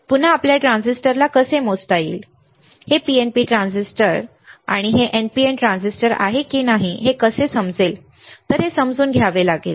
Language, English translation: Marathi, Again we have to understand how we can measure the transistors, how we can understand whether this is PNP transistor is the NPN transistor